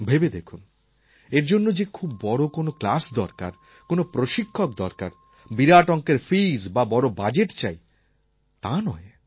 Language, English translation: Bengali, It is not like you need lots of classes, a great trainer, hefty fees or a big budget for this